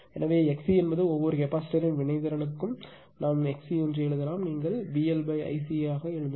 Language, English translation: Tamil, Therefore, X c is the reactance of each capacitor we can write X c is equal to you can write V L L upon I C right